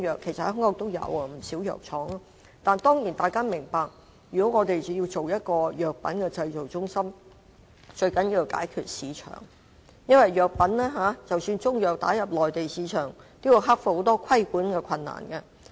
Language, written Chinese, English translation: Cantonese, 其實香港也有不少藥廠，但當然大家要明白，如果我們要成立一間藥品製造中心，最重要的是解決市場問題，因為即使希望把中藥打入內地市場，也要克服很多規管的困難。, In fact there are already a number of Chinese medicine factories in Hong Kong but we certainly have to understand that before establishing a pharmaceutical manufacturing centre it is most important to solve the problem of the market . Even if we want to export Chinese medicine manufactured in Hong Kong to the Mainland we have to overcome many regulatory problems